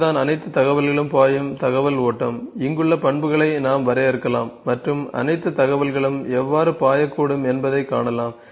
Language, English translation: Tamil, This is the information flow all the information will flow, we can define the attributes here and see all the information could flow